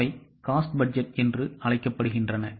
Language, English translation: Tamil, Those are called as cost budgets